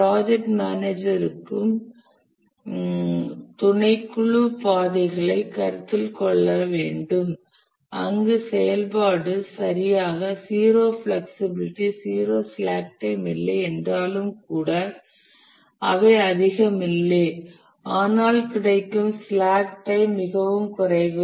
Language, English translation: Tamil, The project manager also needs to consider the subcritical paths where the activities don't have too much of even though they don't have exactly zero flexibility, zero slack time, but the slack time available is very less